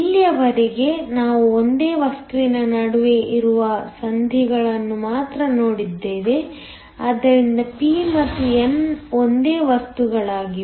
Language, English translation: Kannada, So far we have only looked at junctions which are between the same material, so p and n are the same material